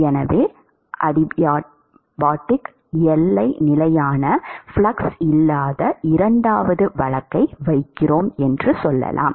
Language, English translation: Tamil, So, let us say that we put the second case of no flux for adiabatic boundary condition